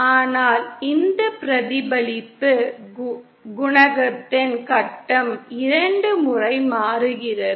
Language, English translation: Tamil, But the phase of this reflection coefficient changes twice